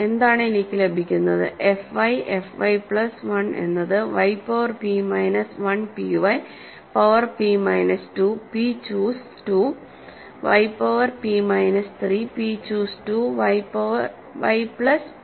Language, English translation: Malayalam, What, what I get is f i, f y plus 1 is y power p minus 1 p y power p minus 2, p choose 2 y power p minus 3, p choose 2 y plus p